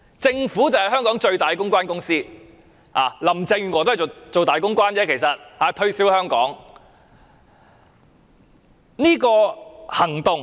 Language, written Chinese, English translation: Cantonese, 政府便是香港最大的公關公司，林鄭月娥其實只是個大公關，推銷香港。, The Government is precisely the biggest public relations company in Hong Kong . In fact Carrie LAM is only a senior public relations officer marketing Hong Kong